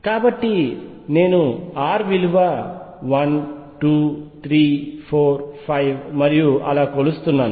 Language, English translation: Telugu, So, I am measuring r one 2 3 4 5 and so on